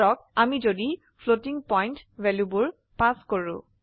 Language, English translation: Assamese, Suppose if we pass floating point values